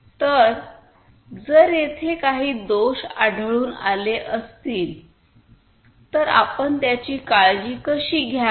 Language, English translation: Marathi, So, if there is some defect that has happened then how do you take care of it